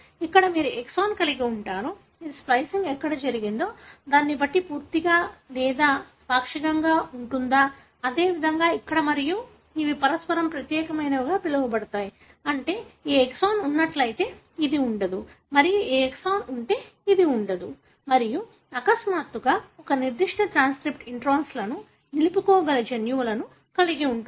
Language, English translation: Telugu, Here you have an exon which can be full or partial, depending on where the splicing took place; likewise here and these are called as mutually exclusive, meaning if this exon is present this would not be and if this exon is present this would not be and you have genes in which all of a sudden a particular transcript may retain the introns